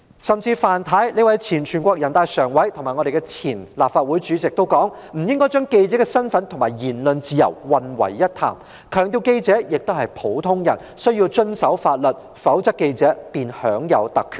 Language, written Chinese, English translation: Cantonese, 前全國人民代表大會常務委員會委員范太，以及前立法會主席也表示，不應將記者身份與言論自由混為一談，強調記者也是普通人，須遵守法律，否則記者便會享有特權。, Mrs FAN a former member of the Standing Committee of the National Peoples Congress and the former President of the Legislative Council also said that the status of journalists and freedom of speech should not be lumped together . She also emphasized that journalists were also ordinary people and should abide by the law; otherwise journalists would enjoy privileges